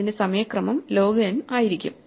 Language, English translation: Malayalam, This is actually an n log n sort